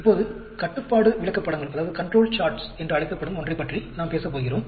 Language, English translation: Tamil, Now, we are going to talk about something called Control Charts